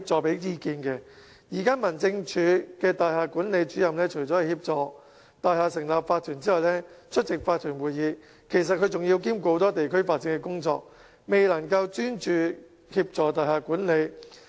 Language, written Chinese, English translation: Cantonese, 現時民政事務總署的大廈聯絡主任除協助大廈成立法團及出席法團會議外，更要兼顧很多其他地區發展工作，未能專注協助大廈管理。, At the moment Liaison Officers of the Home Affairs Department are responsible for helping buildings to set up OCs and attend OCs meetings as well as handling many other community development tasks rendering them unable to concentrate on building management